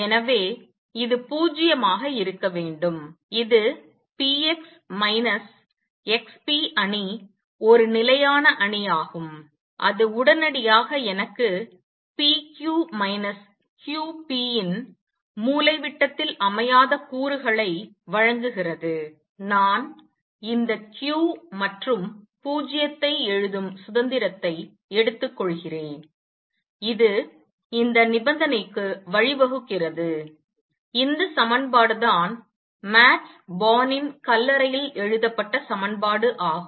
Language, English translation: Tamil, So therefore, this must be 0 and this implies p x minus x p matrix is a constant matrix and that immediately gives me that off diagonal elements of p q minus q p; I am taking the liberty of writing q are 0 and this leads to this condition this is the equation that is written on Max Born’s tombstone